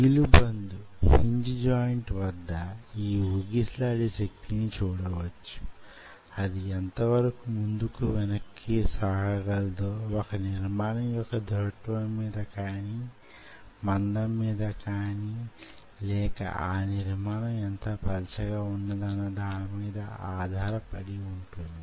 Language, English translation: Telugu, so this oscillation power at this hinge joint, how much it is going to move back and forth, is a function of how rigid the structure is or how thick the structure is or how thinner the structure is